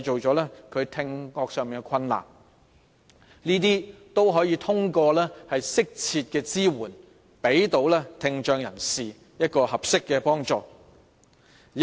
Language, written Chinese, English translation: Cantonese, 這些問題都可以透過適切的支援，向聽障人士提供合適的幫助來解決。, Yet all of these problems can be rectified by the provision of appropriate support and help to people with hearing impairment